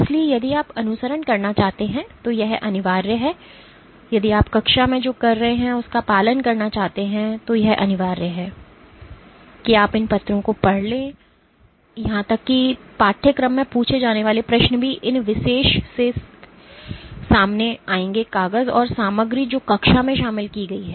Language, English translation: Hindi, So, it is mandatory if you want to follow, if you want to follow up of what we are doing in class then it is mandatory that you read these papers even the quiz questions that will be asked in the course will be posed from these particular papers and the content which has been covered in the class